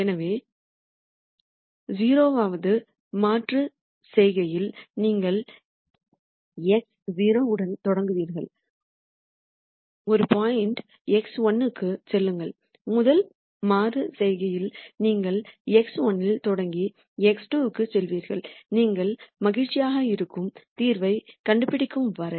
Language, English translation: Tamil, So, at the 0 th iteration you will start with x 0, move to a point x 1 and at the rst iteration you will start at x 1 and move to x 2 and so on, till you nd the solution that you are happy with